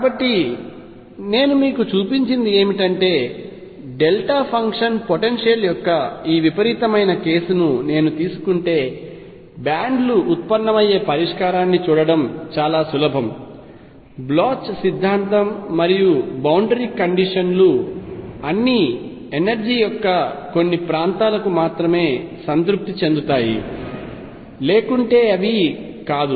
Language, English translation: Telugu, So, what I have shown you is that if I take this extreme case of delta function potential it is very easy to see that bands arise solution exist, the Bloch’s theorem and boundary conditions all are satisfied only for certain regions of energy, otherwise they are not